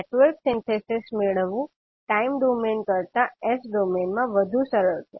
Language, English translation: Gujarati, So Network Synthesis is easier to carry out in the s domain than in the time domain